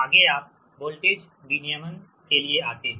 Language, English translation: Hindi, next you come to the voltage regulation, right